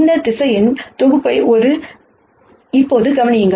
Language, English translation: Tamil, Consider now this set of vectors right